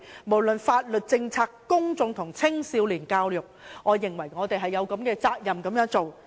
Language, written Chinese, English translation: Cantonese, 不論是在法律、政策、公眾及青少年教育方面，我認為我們也有責任這樣做。, I think we are obliged to do so in terms of law policies and education of the public and young people